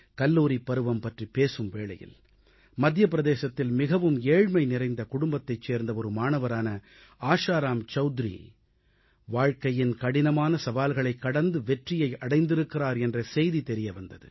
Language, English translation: Tamil, Referring to the college season reminds me of someone I saw in the News recently… how Asharam Choudhury a student from an extremely poor family in Madhya Pradesh overcame life's many challenges to achieve success